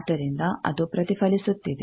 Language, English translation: Kannada, So, it is giving reflected